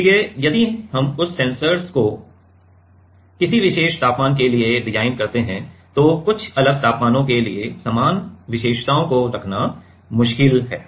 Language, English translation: Hindi, So, if we design that a sensor for a particular temperature it is difficult to keep the same characteristics for some very different temperatures also ok